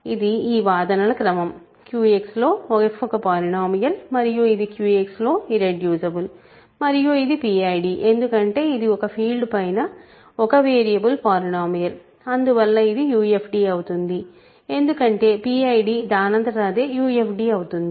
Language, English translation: Telugu, This is the sequence of arguments: f is a polynomial in Q X which is irreducible and Q X is so, this is and a PID because it is a polynomial in one variable over a field so, hence a UFD because the PID is automatically a UFD